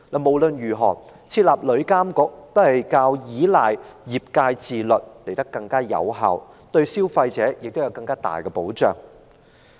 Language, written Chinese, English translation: Cantonese, 無論如何，設立旅監局總比依賴業界自律更為有效，對消費者也有較完善的保障。, In all cases the establishment of TIA is more effective than relying on the self - regulation of the industry and can provide better protection for consumers